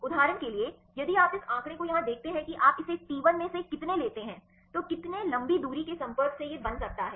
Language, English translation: Hindi, For example, if you see this figure here the how many this you take the T1, how many long range contact this can form one